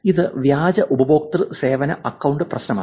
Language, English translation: Malayalam, These is fake customer service account problem